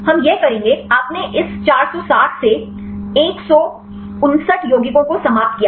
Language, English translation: Hindi, We will do this, you ended up with 159 compounds from this 460